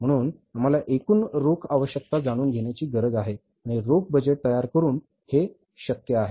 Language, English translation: Marathi, So, total cash requirements we have to work out and it's possible by preparing the cash budget